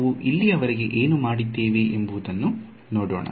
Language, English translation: Kannada, So, let us just have a look at what we have done so far